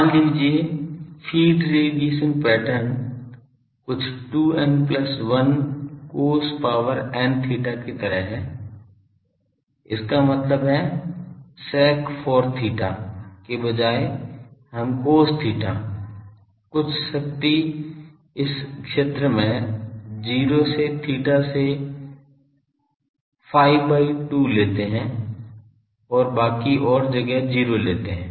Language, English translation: Hindi, Suppose, the feed radiation pattern is something like 2 n plus 1 cos n theta; that means, instead of sec 4 theta we take cos theta some power for 0 to theta to phi by 2, so, in this zone and 0 elsewhere